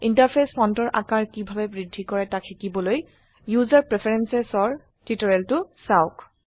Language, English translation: Assamese, To learn how to increase the Interface font size please see the tutorial on User Preferences